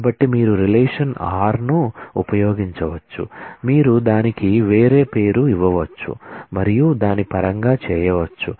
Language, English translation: Telugu, So, you can using a relation r you can actually give it a different name s and do that in terms of